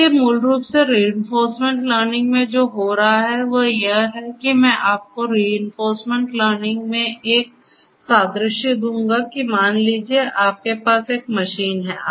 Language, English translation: Hindi, So, basically what is happening in reinforcement learning is that I will give you an analogy in reinforcement learning what is happening is that you have a machine